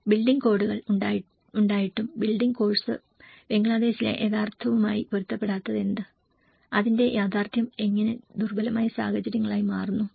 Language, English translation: Malayalam, And how the building course doesnít match with the reality in Bangladesh despite of having the building codes, how the reality turns into a vulnerable situations